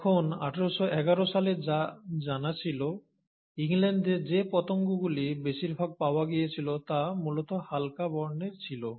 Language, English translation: Bengali, Tutt and what was known then is that way back in 1811, most of the moths which were found in England , mainly in England were light colored